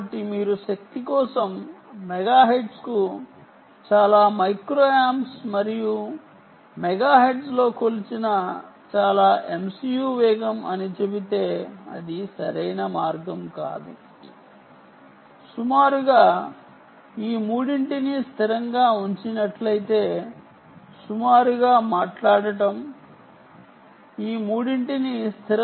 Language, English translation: Telugu, so if you just say um, so many micro amps ah per megahertz for energy and so many, so much, so much m c u, speed measured in megahertz, it would not be the right way, roughly speaking